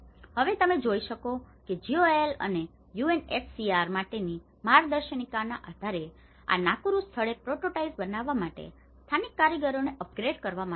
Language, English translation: Gujarati, Now, what you can see is, based on these guidelines for GOAL and UNHCR brought local artisans to upgrade, to build a prototypes in this Nakuru place